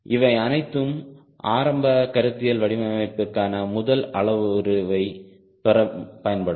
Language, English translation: Tamil, these are all initial statistical data driven inferences which will be used to get the first parameter for a conceptual design